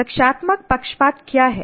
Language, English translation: Hindi, What is defensible partisanship